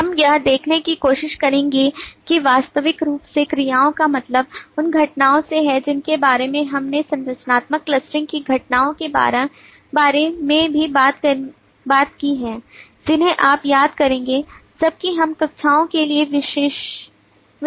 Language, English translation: Hindi, we will try to see that naturally actions mean events we talked about events for structural clustering also you will remember while we were analyzing for the classes